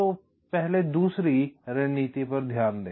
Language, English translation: Hindi, so let us concentrate on the second strategy first